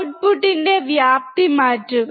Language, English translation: Malayalam, Change the amplitude of the output